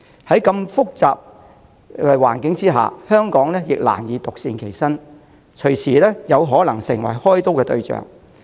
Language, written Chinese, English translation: Cantonese, 在如此複雜的環境下，香港難以獨善其身，隨時可能成為開刀對象。, Under such complicated circumstances Hong Kong far from remaining impervious can quickly find itself the target of sanctions